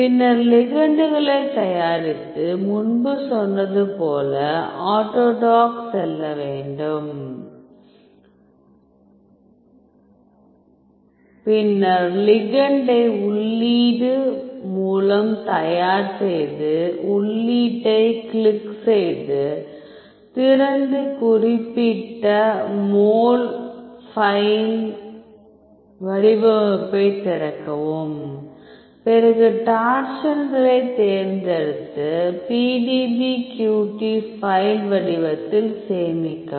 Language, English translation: Tamil, Then you have to prepare the ligands, as I told you as I told you earlier you have to go to autodock then prepare the ligand by input open click on input open and open the particular mol to file format given give open see then detect the root and choose torsions and save in a PDBQT file format